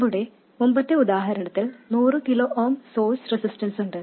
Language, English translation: Malayalam, We have a source resistance of 100 kohm in our previous example